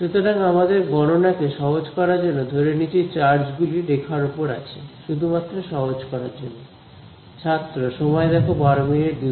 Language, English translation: Bengali, So, just to make our calculation simple let us pretend that the charges are on one line, just to keep it simple